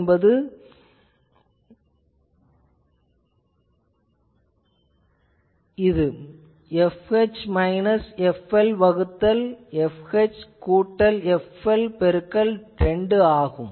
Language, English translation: Tamil, So, it is f H minus f L by f H plus f L by 2, so that gives it the bonded definition